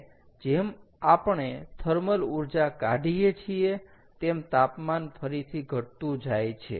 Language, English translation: Gujarati, and as we remove the thermal energy, the temperature goes down again